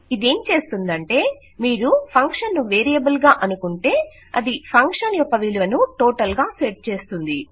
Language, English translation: Telugu, What this does is If you think of the function as a variable it sets the functions value as the total